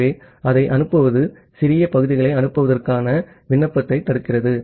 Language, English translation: Tamil, So, the sending it prevents the sending application to send small segments